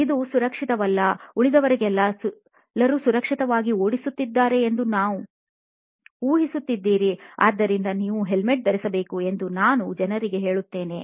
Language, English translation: Kannada, This it is not safe, you are assuming that everybody else rides safely, so you should wear a helmet is what I used to tell people